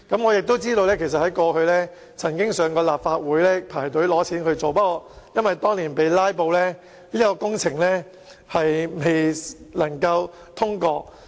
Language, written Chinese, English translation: Cantonese, 我也知道當局曾向立法會申請撥款進行改善工程，但因為當年受"拉布"影響，以致工程未獲通過。, Moreover I learn that the authorities applied for funding from the Legislative Council for road improvements before yet the application was not passed due to filibuster then